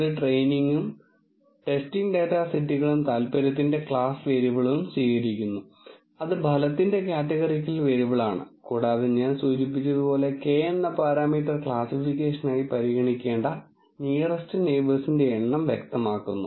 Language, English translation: Malayalam, It accepts training and testing data sets and the class variable of interest that is outcome categorical variable and the parameter k as I have mentioned is to specify the number of nearest neighbours that are to be considered for the classification